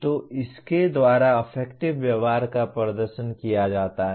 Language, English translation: Hindi, So affective behaviors are demonstrated by this